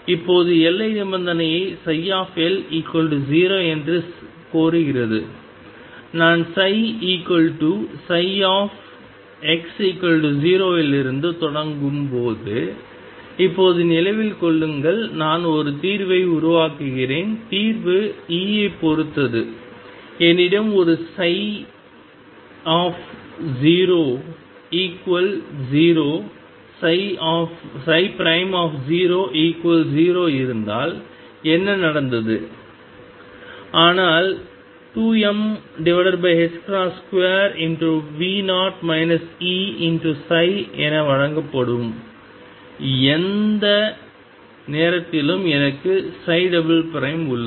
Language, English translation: Tamil, Now boundary condition demands that psi L be equal to 0, remember now when I am starting from psi equal to psi at x equals 0, I am building up a solution and the solution depends on E; what is that happened because I had a psi 0 equal to 0 psi prime equal to 0, but I have psi double prime at any point which is given as 2 m over h cross square V 0 minus E psi